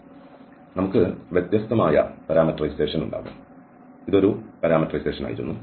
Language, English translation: Malayalam, So, we can have a different parameterization and this was one parameterization